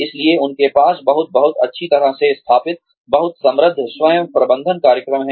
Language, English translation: Hindi, So, they have a very very, well set, well established, very rich, self management program